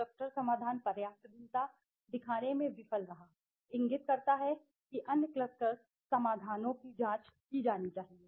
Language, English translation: Hindi, Cluster solution failing to show the substantial variation indicates the other cluster solutions should be examined okay